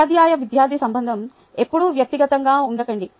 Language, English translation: Telugu, a teacher student relationship never get too personal, but its same